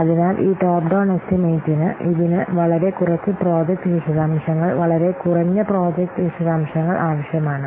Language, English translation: Malayalam, So, the top down estimation, it requires very few amount of project details, very minimal project details